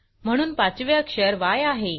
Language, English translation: Marathi, Therefore, the 5th character is Y